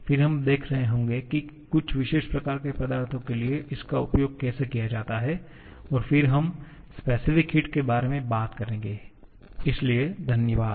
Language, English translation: Hindi, Then, we shall be seeing how to use this for certain kind of substances and then we shall be talking about the specific heat, so thank you